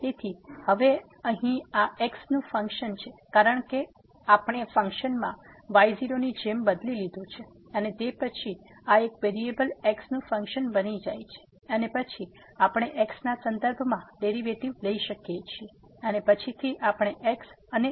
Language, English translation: Gujarati, So, now, this is here the function of because we have substituted like in the function and then, this become a function of one variable and then, we can take the derivative with respect to and then later on we can substitute is equal to